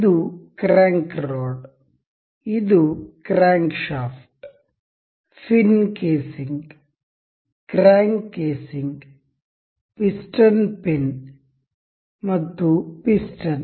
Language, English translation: Kannada, This is crank rod; this is crankshaft; the fin casing; the crank casing; the piston pin and the piston itself